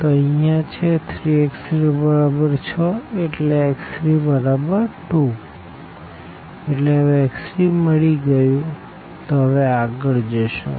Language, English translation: Gujarati, So, we have x 1 is equal to 1, x 2 is equal to 1 and x 3 is equal to 2